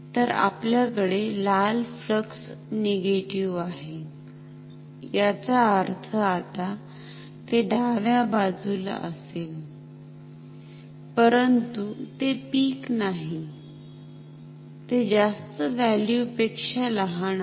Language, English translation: Marathi, So, we have the red flux negative, that means, now it will be towards the left side, but it is not the peak it is smaller than the maximum value